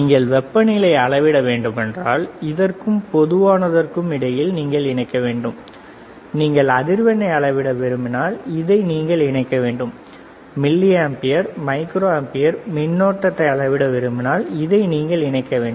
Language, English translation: Tamil, You have to connect temperature, you have to connect between this and common, if you want measure frequency, you have to connect this and this if you want to measure milliampere microampere current you have to measure this with this